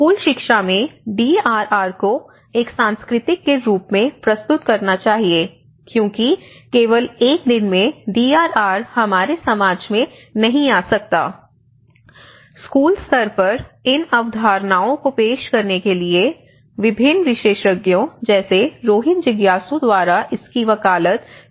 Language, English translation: Hindi, Introducing DRR as a culture at school education, so in order to bring the DRR into our society, it cannot just happen in only one day, but by introducing these concepts at a school level, this has been advocated by different experts Rohit Jigyasu